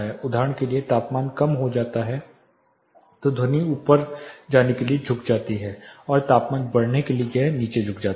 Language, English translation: Hindi, So, as the temperature decreases for instance then the sound tends to go up as a temperature increases it tends to bend down